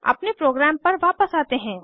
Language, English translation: Hindi, Come back ot our program